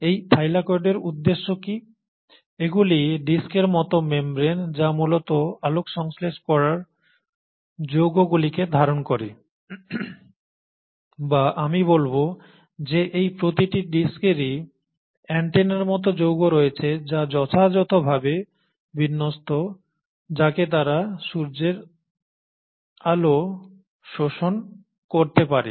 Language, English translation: Bengali, So what is the purpose of this Thylakoid, now these are disc like membranes which essentially harbour the light harvesting complex or let me say that each of these discs have these antenna like complexes which are suitably oriented so that they can capture the sunlight